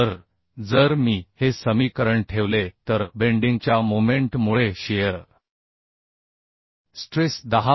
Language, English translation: Marathi, So if I put this equation so stress due to bending moment will be 10